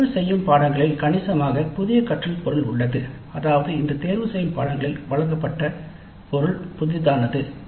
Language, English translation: Tamil, The elective course has substantially new learning material in the sense that the material provided in this elective course is something novel